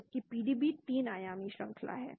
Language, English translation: Hindi, Whereas PDB contains 3 dimensional structure